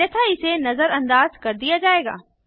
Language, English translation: Hindi, Else it will be ignored